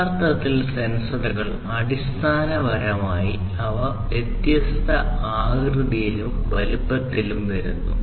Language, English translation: Malayalam, Actually, the sensors basically they come in different shapes and sizes